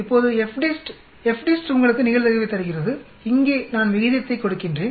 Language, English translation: Tamil, Now FDIST, FDIST gives you the probability where here, I put in the ratio